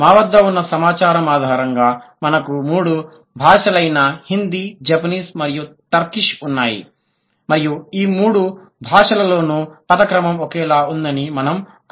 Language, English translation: Telugu, And on the basis of the data that we had, we had three languages, we had Hindi, Japanese and Turkish, and there we found out that the word order is same in all the three languages